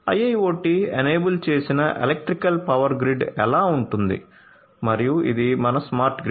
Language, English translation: Telugu, So, this is how a an IIoT enabled electrical power grid is going to look like and this is our smart grid